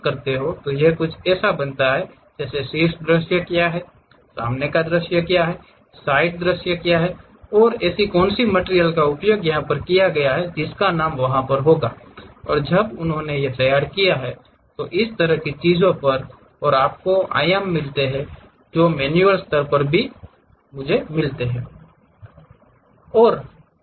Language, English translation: Hindi, So, it makes something like what is top view, what is front view, what is side view and what are the materials have been used, whose name is there, and when they have prepared and so on so things and gives you those dimensions also at manual level